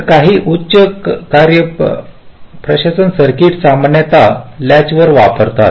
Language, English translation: Marathi, so some high performance circuits typically use latches